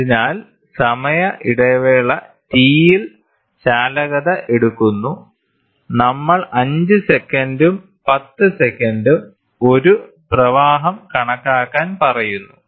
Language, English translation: Malayalam, So, on the reading conductivity are taken at time interval T say 5 seconds and 10 seconds we try to calculate the a flow